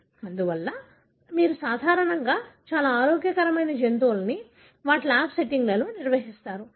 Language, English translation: Telugu, Therefore, you normally maintain very healthy animals in their lab settings